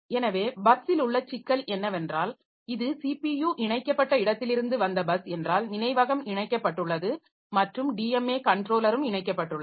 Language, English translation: Tamil, So, the problem with the bus is that your so if this is a bus from where this CPU is connected the memory is connected and my DMA controller is also connected and the devices are connected by so the DMA controller